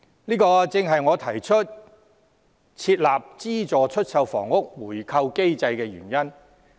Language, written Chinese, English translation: Cantonese, 這正是我提出設立資助出售房屋回購機制的原因。, This is precisely the reasoning behind my proposal to establish a buyback mechanism for subsidized sale flats